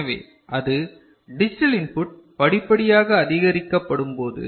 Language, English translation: Tamil, So, if it is the digital input is gradually increased ok